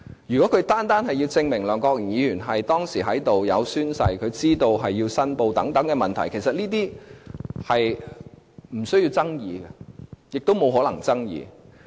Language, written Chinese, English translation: Cantonese, 如果律政司單單要證明梁國雄議員當時有出席會議、有宣誓、是否知道要作出申報等問題，其實這些是無須爭議，亦無可能爭議的。, If DoJ merely wants to prove that Mr LEUNG Kwok - hung has attended the meeting has taken the oath and has learnt the need to declare interests these actually are questions beyond dispute or have no room for dispute